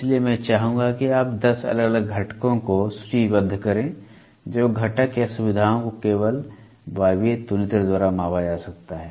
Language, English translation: Hindi, So, I would like you to list down, list down 10 different components which components/feature features which can be measured only by pneumatic comparator